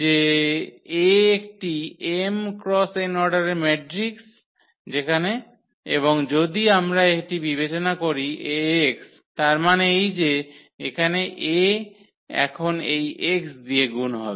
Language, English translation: Bengali, So, this A is a matrix of order this m cross n and if we consider this Ax; that means, this A will be multiplied now by this x here